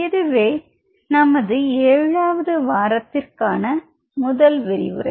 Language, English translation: Tamil, So, this is your week 7 lecture 1